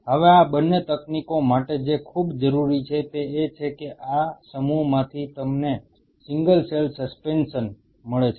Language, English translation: Gujarati, Now, for both these techniques what is very essential is that from this mass you get single cell suspension